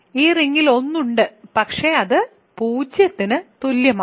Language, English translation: Malayalam, So, in this ring there is a 1, but it is equal to 0